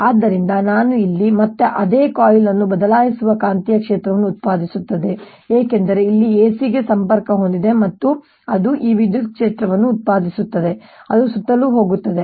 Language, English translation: Kannada, so what i have here is again the same coil that produces a changing magnetic field, because this is connected to the a c and it produces this electric field which is going around